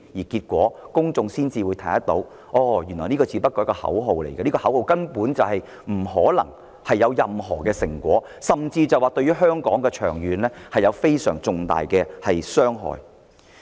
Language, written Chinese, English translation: Cantonese, 結果公眾才能看清楚，他們說的原來只是口號，根本不可能有任何成果，卻長遠對香港造成非常重大的傷害。, In that case members of the public can see clearly what Hong Kong independence advocates chanted was nothing but slogans which cannot possibly bear any fruit but will instead cause serious harm to Hong Kong in the long run